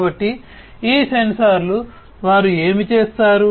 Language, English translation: Telugu, So, these sensors what they do